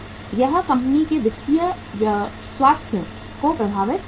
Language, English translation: Hindi, It will affect the financial health of the company